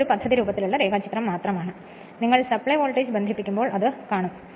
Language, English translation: Malayalam, It is just a schematic diagram, but when you are connecting supply voltage we will see that right